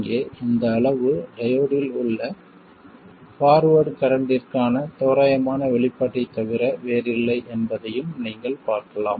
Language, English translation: Tamil, You can also see that this quantity here is nothing but the approximate expression for the forward current in the diode